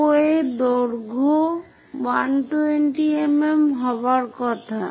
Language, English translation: Bengali, OA supposed to be 120 mm